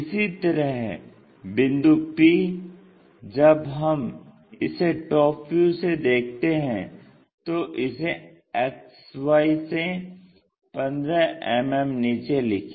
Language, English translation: Hindi, Similarly, p point when we are looking from top view that is in front, so 15 mm below